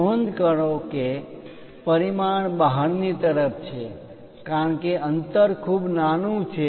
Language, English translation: Gujarati, Note that the dimension is outside because the gap is too small